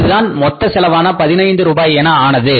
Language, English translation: Tamil, So your cost becomes 14 rupees